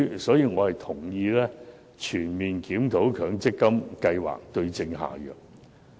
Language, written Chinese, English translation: Cantonese, 所以，我同意全面檢討強積金計劃，對症下藥。, I therefore support a comprehensive review of the MPF scheme in order to provide the right remedy for the problems